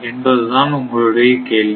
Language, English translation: Tamil, So, this is a question to you